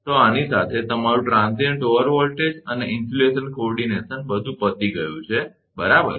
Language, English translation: Gujarati, So, with this that, your transient over voltage and insulation coordination is over right